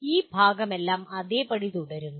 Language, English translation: Malayalam, All this part remains the same